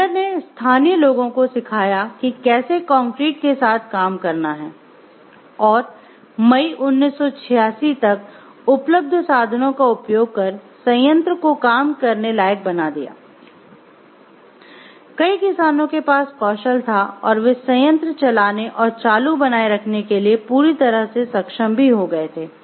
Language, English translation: Hindi, Linder taught local people how to work with concrete and use hand tools by May of 1986 when the plant was operational many peasants had new skills and several were fully competent to run and maintain the plant